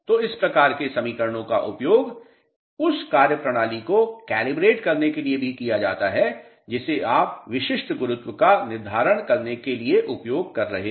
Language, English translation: Hindi, So, these type of equations are also used for calibrating the methodology which you are using for determining the specific gravity